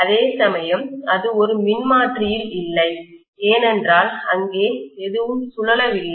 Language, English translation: Tamil, Whereas, that is absent in a transformer, because there is nothing rotating there